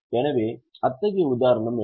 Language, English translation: Tamil, So, what is such example